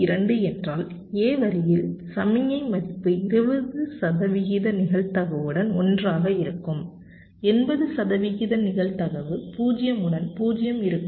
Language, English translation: Tamil, so point two means the signal value at line a will be one with twenty percent probability will be zero with eighty percent probability, right